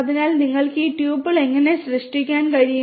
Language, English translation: Malayalam, So, this is how you can create these tuples